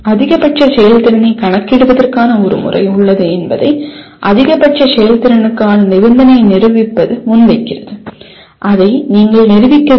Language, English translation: Tamil, Proving the condition for maximum efficiency that there is a method of computing maximum efficiency is presented and you have to prove that